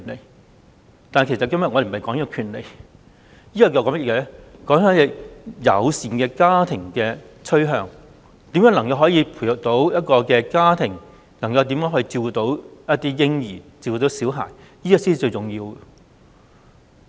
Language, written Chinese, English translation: Cantonese, 無論如何，我們今天並非討論權利問題，而是友善家庭的趨向，希望每一個家庭都能把嬰孩照顧得更好，這才是最重要的。, Anyway we are not discussing our rights today but the trend of family friendliness . Our prime concern is that each family can take better care of the children